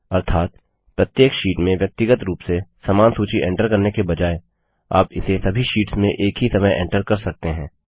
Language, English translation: Hindi, This means, instead of entering the same list on each sheet individually, you can enter it in all the sheets at once